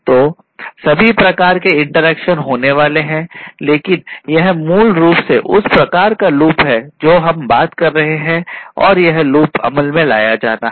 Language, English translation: Hindi, So, all kinds of interactions are going to happen, but this is basically the kind of loop that we are talking about this loop is going to take into effect, right